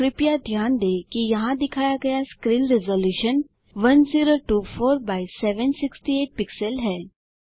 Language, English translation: Hindi, Please note that the screen resolution shown here is 1024 by 768 pixels